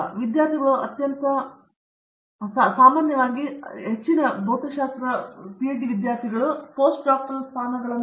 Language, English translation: Kannada, So, the very common place the students, now PhD students get into is Postdoctoral position